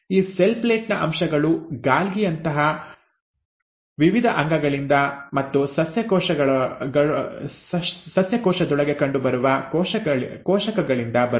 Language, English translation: Kannada, Now this cell plate, the components of the cell plate comes from various organelles like Golgi and the vesicles found within the plant cell